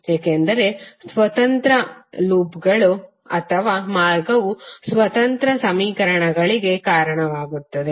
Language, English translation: Kannada, Because independent loops or path result in independent set of equations